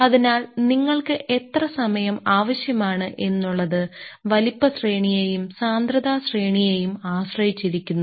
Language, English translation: Malayalam, So, how much time you require that depends on what is the size range and what is the density range you are trying to play with